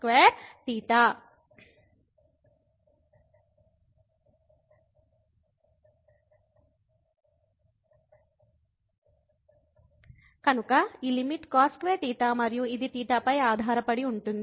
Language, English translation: Telugu, So, this limit is cos square theta and it depends on theta